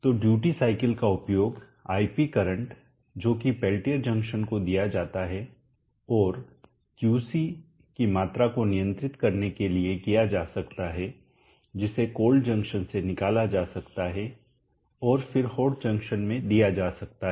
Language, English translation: Hindi, So the duty cycle can be used to control Ip the current that is fed to the peltier junction and controlled the amount of QC that can be extracted from the cold junction and then fed into the hot junction